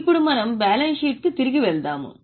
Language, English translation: Telugu, So, now we will go back to balance sheet